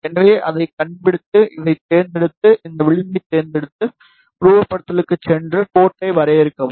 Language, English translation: Tamil, So, just to locate it, just select this, select this edge, go to simulation, define port